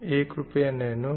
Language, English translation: Hindi, So here, 1 rupee is nano